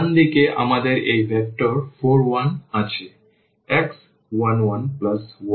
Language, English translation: Bengali, The right hand side we have this vector 4 and 1